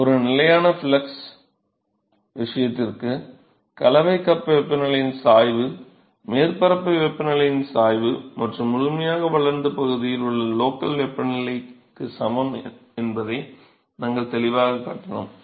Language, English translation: Tamil, So, there we clearly showed that for a constant flux case, the gradient of the mixing cup temperature is equal to the gradient of the surface temperature and the local temperature in the fully developed region